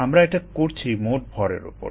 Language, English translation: Bengali, we are doing it on total mass